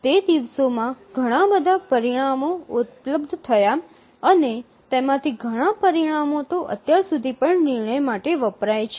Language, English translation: Gujarati, Lot of results became available during those days and many of those results are even referred till now